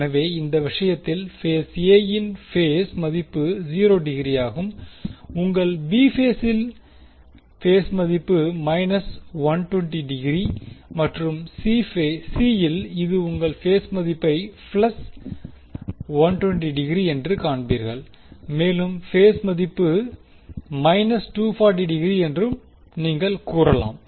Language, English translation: Tamil, So, in this case you will see phase value is 0 degree in phase B, you will have phase value minus 120 degree and in C you will have phase value as plus 120 degree, and you can say phase value is minus 240 degree